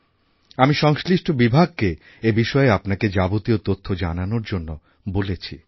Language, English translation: Bengali, I have instructed the concerned department to convey to you efforts being made in this direction